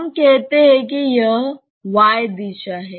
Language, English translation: Hindi, Let us say that the y direction